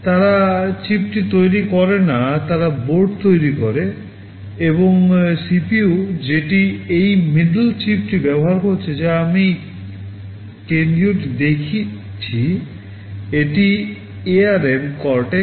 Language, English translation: Bengali, They do not manufacture the chip, they manufacture the board, and the CPU that is use this middle chip that I am showing the central one, this is ARM Cortex M4